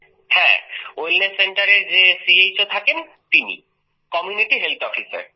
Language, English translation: Bengali, Yes, the CHO who lives in the Wellness Center, Community Health Officer